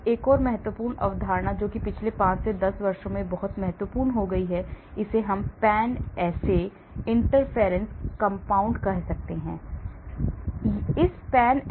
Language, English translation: Hindi, Now, another important concept which has become very important in the past 5 to 10 years I would say, this is called Pan assay interference compounds; PAINS